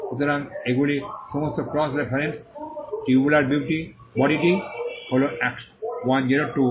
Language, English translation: Bengali, So, these are all the cross references; tubular body is 102